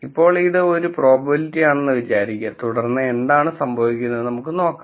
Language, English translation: Malayalam, Now one idea might be just to say this itself is a probability and then let us see what happens